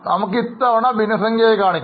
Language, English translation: Malayalam, This time let us just keep it as a fraction